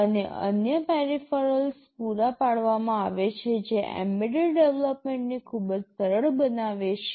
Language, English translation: Gujarati, And other peripherals are provided that makes embedded development very easy